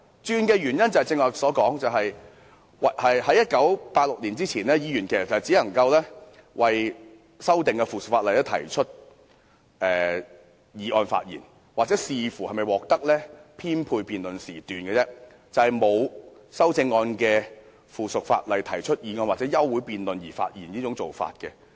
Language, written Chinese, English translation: Cantonese, 正如我剛才也說過，在1986年前，議員只能就修訂附屬法例動議議案發言，又或視乎是否獲得編配辯論時段，但並無讓議員就沒有修正案的附屬法例進行辯論或發言的做法。, As I just said before 1986 Member could only speak on motions to amend the subsidiary legislation depending on whether time slots were allocated for debate . Members were not allowed to speak on subsidiary legislation to which no amendment has been proposed